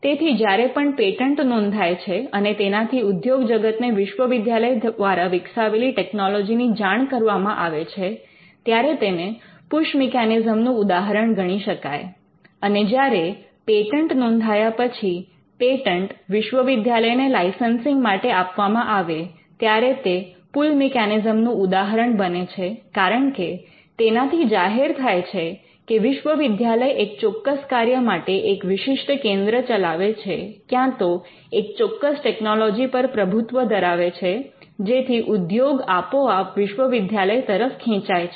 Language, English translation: Gujarati, So, whenever a pattern this file if the industry is informed about a technology developed by the university, then that is a instance of a push mechanism there is a pattern filed and the pattern is offered to the university on for on licensing terms and the pull mechanism is when the university has a particular centre for doing a particular or shows excellence in a particular field of technology, then it automatically attracts industry players to come and team up with the university